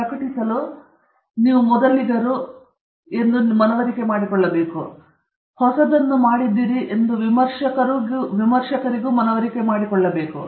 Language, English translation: Kannada, To publish, you have to first of all convince yourselves and convince the reviewers that you have done something new